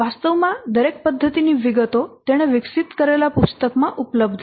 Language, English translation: Gujarati, Actually the details of his method is available in a book